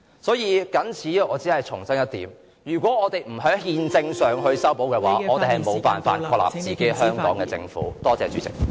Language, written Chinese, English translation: Cantonese, 所以，我謹此只重申一點，如果我們不在憲政上......作出修補的話，我們便無法確立香港自己的政府。, Hence I must repeat the point that if we do not make any constitutional repairs we will not be able to establish a government that truly belongs to the people of Hong Kong